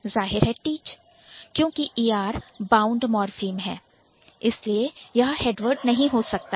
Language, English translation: Hindi, Teach, obviously because er is a bound morphim so it cannot be a head word